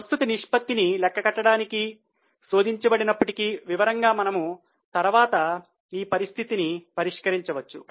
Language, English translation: Telugu, I am just tempted to calculate current ratio though in detail will solve the cases later on